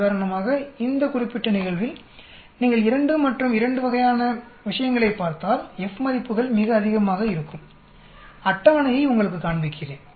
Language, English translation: Tamil, For example, in this particular case if you look at the 2 and 2 sort of thing the F values will be very high, let me show you the table